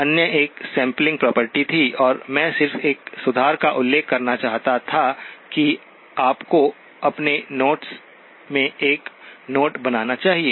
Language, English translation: Hindi, The other one was the sampling property and I just wanted to mention of a correction that you should make a note in your notes